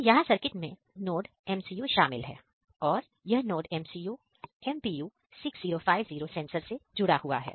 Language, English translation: Hindi, So, here the circuit consists of NodeMCU and this NodeMCU is connected with the MPU 6050 sensors